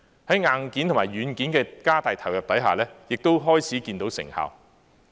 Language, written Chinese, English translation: Cantonese, 在硬件和軟件的加大投入之下，亦開始看到成效。, With the increased investment in hardware and software we are beginning to see results